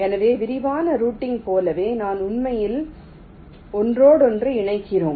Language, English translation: Tamil, so where, as in detail routing, we actually complete the interconnections